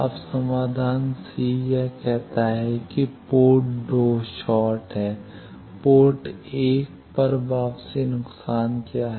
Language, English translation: Hindi, Now, solution c it says that port 2 is shorted, what is the return loss at port 1